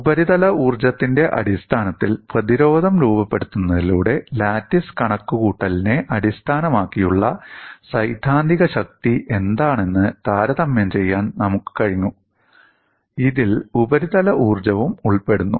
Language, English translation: Malayalam, By phrasing the resistance in terms of the surface energy, we were able to compare what is the theoretical strength based on lattice calculation which also had a term involving surface energy